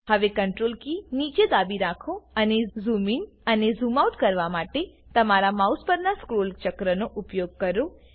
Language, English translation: Gujarati, Now press the Ctrl key down and use the scroll wheel on your mouse to zoom in and out